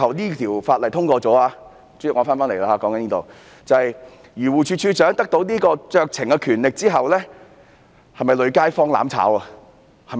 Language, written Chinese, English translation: Cantonese, 如果《條例草案》最終獲得通過，授權漁護署署長行使酌情權之後，會否"累街坊"和"攬炒"呢？, If DAFC is empowered to exercise discretion upon the passage of the Bill will people be brought into trouble all together?